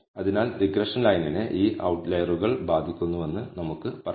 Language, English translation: Malayalam, So, we can say that regression line is indeed getting affected by these outliers